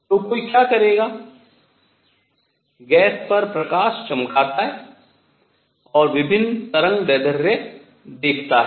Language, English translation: Hindi, So, what one would do is shine light on gas and see different wavelengths